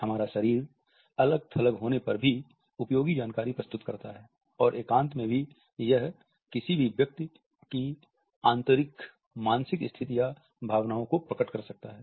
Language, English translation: Hindi, Our body presents useful information even when it is isolated and even in solitude it can reveal internal mental states or emotions to any person